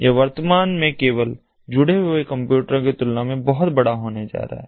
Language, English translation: Hindi, it is going to become much bigger than what it is at present, with only the computers connected